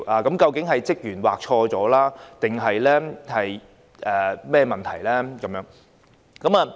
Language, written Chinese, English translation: Cantonese, 究竟是工作人員劃錯，還是有其他問題？, Was the electors name wrongly crossed out by the polling staff or were there some other problems?